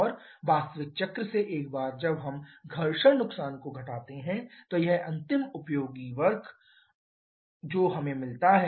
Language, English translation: Hindi, And from the actual cycle once we subtract the frictional losses this is the final useful work that we get